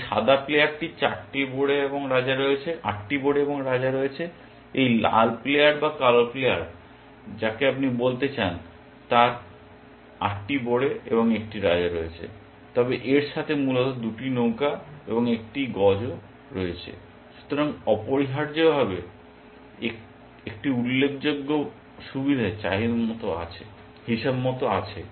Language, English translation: Bengali, This white player has 8 pawns and the king, this red player or black player whatever you want to call has 8 pawns and a king, but also has 2 rooks and a bishop essentially